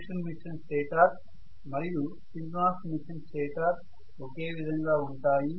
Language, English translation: Telugu, The synchronous machine stator is absolutely not different from the induction machine stator